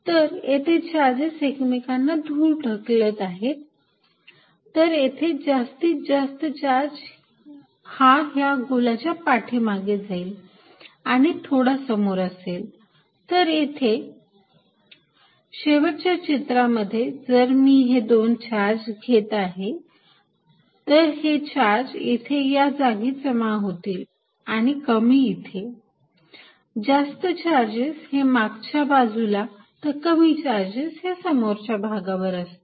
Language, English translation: Marathi, So, here charges repel, so lot of them will go to the back side of the charges sphere and there will be a less charge in front, with the final picture that if I take this two charges, charge spheres that the charges are going to be more concentrated here and less out here more concentrated on the back side and less in front